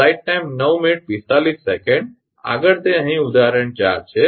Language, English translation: Gujarati, Next is that example 4 here